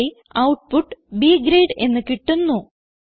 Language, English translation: Malayalam, In this case, the output will be displayed as B Grade